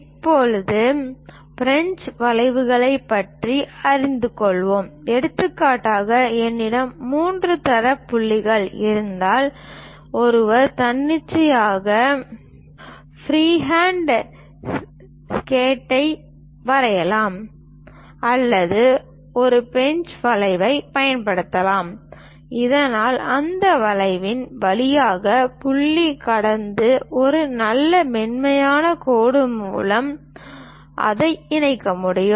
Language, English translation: Tamil, Now, we will learn about French curves; for example, if I have three data points, one can draw an arbitrary free hand sketch like that or perhaps use a French curve, so that the point can be passing through that curve and connect it by a nice smooth line